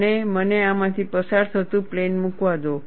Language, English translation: Gujarati, And, let me put a plane passing through this